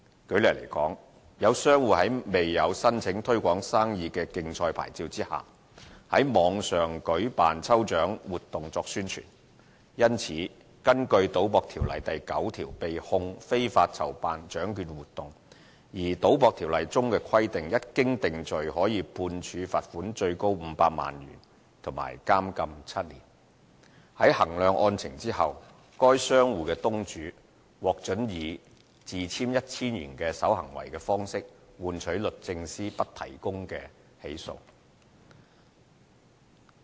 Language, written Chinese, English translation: Cantonese, 舉例來說，有商戶在沒有申請"推廣生意的競賽牌照"下，在網上舉辦抽獎活動作宣傳，因此根據《賭博條例》第9條被控非法籌辦獎券活動；而《賭博條例》中規定，一經定罪可判處罰款最高500萬元及監禁7年。在衡量案情後，該商戶東主獲准以自簽 1,000 元守行為方式處理換取律政司不提證供起訴。, For examples there has been a case in which a merchant conducted online lucky draw to promote his business without applying for the Trade Promotion Competition Licence and hence was prosecuted under section 9 of the Gambling Ordinance for organizing unlawful lottery . While it was set out in the Gambling Ordinance that a person on conviction is liable to a maximum fine of 5 million and to imprisonment of at most seven years; the merchant after the case was assessed was offered no evidence on condition of being bound over in the sum of 1,000